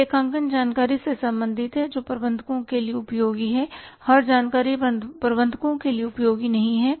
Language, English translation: Hindi, It is concerned with the accounting information that is useful to managers, every information is not useful to managers